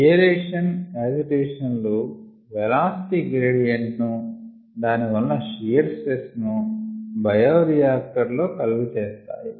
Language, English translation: Telugu, so aeration and agitation cause velocity gradients and hence shear stress in bioreactors